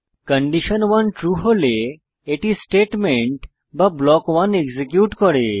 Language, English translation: Bengali, If condition 1 is true, it executes the statement or block code